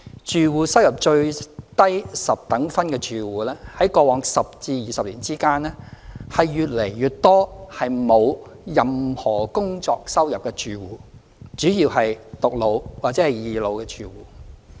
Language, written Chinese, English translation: Cantonese, 住戶收入最低十等分的住戶在過往10至20年間，越來越多是沒有任何工作收入的住戶，主要是"獨老"或"二老"的住戶。, In the past 10 to 20 years more and more households in the decile group with the lowest household income were those without any income from work mainly comprising households of elderly singletons or elderly doubletons